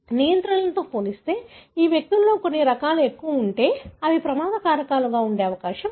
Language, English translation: Telugu, If certain variants are more often present in these individuals as compared to the controls, they are likely to be the risk factors